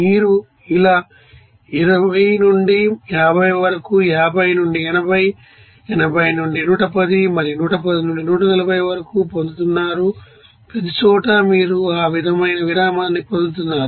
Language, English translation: Telugu, So, with us you are getting that you know 20 to 50 then 50 to 80, 80 to 110 and 110 to 140 like this, everywhere you are getting that interval is same